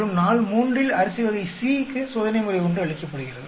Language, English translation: Tamil, And on day three you give the treatment 1 to rice variety C